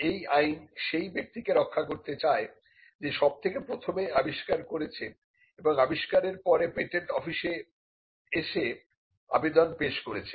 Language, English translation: Bengali, It wants to safeguard a person who invents first provided that person approaches the patent office and files an application